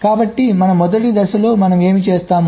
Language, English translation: Telugu, so in our first step what we do